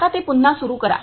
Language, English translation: Marathi, Now restart it